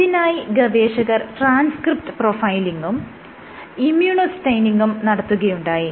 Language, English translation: Malayalam, The authors did transcript profiling and immunostaining